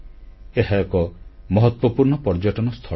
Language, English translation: Odia, It is a very important tourist destination